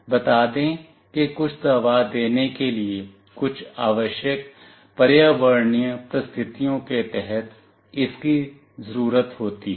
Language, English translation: Hindi, Let us say it is required to deliver some medicine, under some required environmental conditions